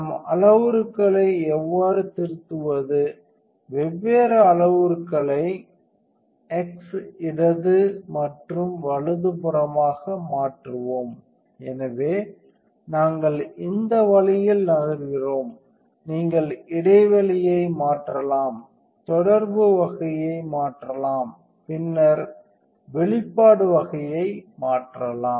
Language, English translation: Tamil, So, how do we edit the parameters change the difference parameters either use the x left and right, so we move this way you can change the gap, change the type of contact and then change exposure type